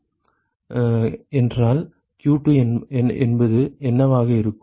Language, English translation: Tamil, So, what should be q2 then